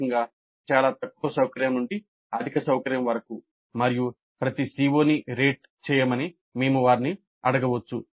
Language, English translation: Telugu, Basically from very low comfort to high comfort and we can ask them to rate each CO